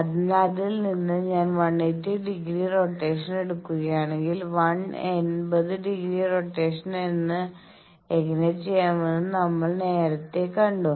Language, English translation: Malayalam, So, from that if I take a 180 degree rotation we have earlier seen how to do 1 eighty degree rotation